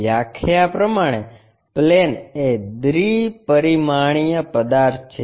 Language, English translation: Gujarati, Plane by definition is a two dimensional object